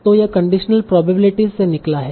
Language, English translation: Hindi, So it derives from conditional probabilities